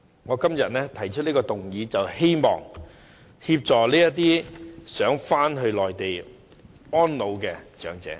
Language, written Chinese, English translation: Cantonese, 我今天提出議案，便是希望協助這些希望返回內地安老的長者。, I propose this motion today precisely with the intention of assisting such elderly people who wish to spend their retirement life on the Mainland